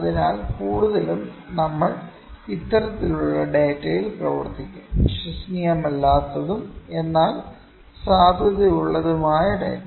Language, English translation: Malayalam, So, mostly we will be working on this kind of data, the data which is unreliable, but valid